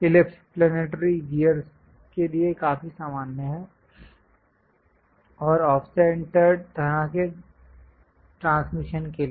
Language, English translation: Hindi, Ellipse are quite common for planetary gears and off centred kind of transmission kind of systems